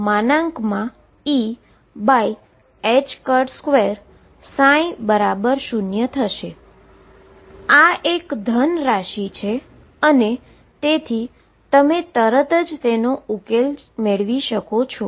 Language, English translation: Gujarati, This is a positive quantity and therefore, you can immediately write the solutions